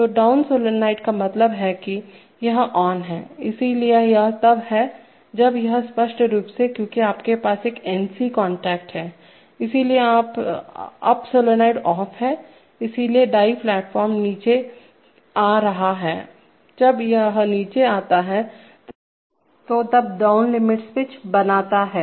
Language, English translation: Hindi, So the down solenoid is on means this is on, so this is on, when this is on obviously because you have an NC contact here, so therefore up solenoid is off, so the die platform is coming down, when it comes down, it eventually makes the down limit switch